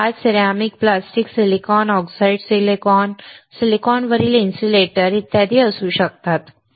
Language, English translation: Marathi, It can be glass, ceramic, plastic, silicon, oxidized silicon, insulator on silicon etc